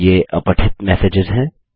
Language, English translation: Hindi, These are the unread messages